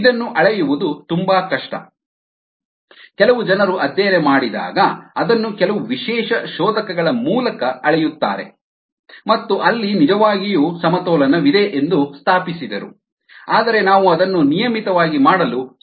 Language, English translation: Kannada, some people have measured it through some specialized probes when they did studies and established that indeed equilibrium exists there, but we cannot do it on a regular basis